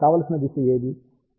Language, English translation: Telugu, So, whatever is the desired direction